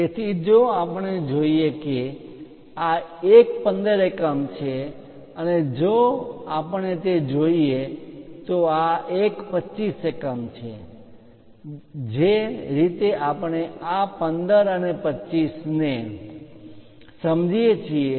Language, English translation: Gujarati, So, if we are seeing this one is 15 units and if we are looking at that, this one is 25 units this is the way we understand this 15 and 25